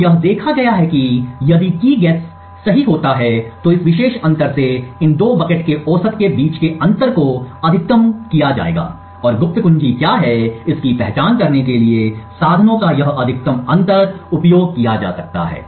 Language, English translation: Hindi, So what is observed is that if the Key guess happens to be correct then this particular difference the differences between the average of these two buckets would be maximized and this maximum difference of means can be than used to identify what the secret key is